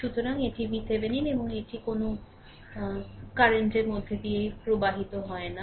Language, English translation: Bengali, So, it is V Thevenin and it no current is flowing through this